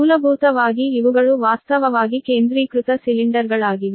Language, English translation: Kannada, so basically, basically, these are actually concentric cylinders, right